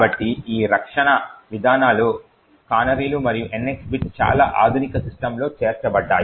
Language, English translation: Telugu, So, both this defense mechanisms the canaries as well as the NX bit are incorporated in most modern systems